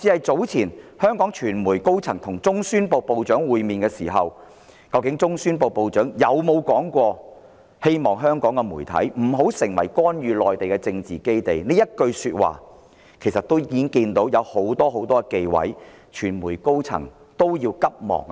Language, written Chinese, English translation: Cantonese, 早前香港傳媒代表團跟中宣部部長會面後，有傳媒高層原先透露中宣部部長說過"希望香港媒體不要成為干預內地的政治基地"這句話，但其後又急忙澄清，這其實反映當中存在很多忌諱。, Earlier on after a Hong Kong media delegation met with the Head of the Central Propaganda Department a senior staff of the media revealed the remark made by the Head Dont let Hong Kong be turned into a political base for interfering with the Mainland . However that staff later hurriedly made a clarification and this reflected that there were actually a lot of taboos